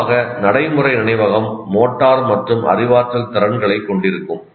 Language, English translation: Tamil, So, generally procedural memory will have both the motor, involves motor and cognitive skills